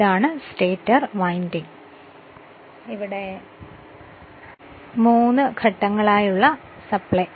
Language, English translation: Malayalam, This is the stator winding, this is the three phase supply, right